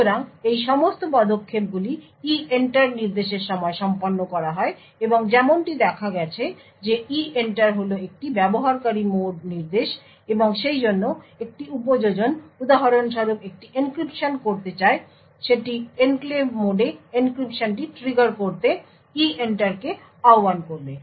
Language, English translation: Bengali, So, all of these steps are done during the EENTER instruction and as you as we have seen EENTER is a user mode instruction and therefore an application for example wants to do an encryption would invoke EENTER to trigger the encryption in the enclave mode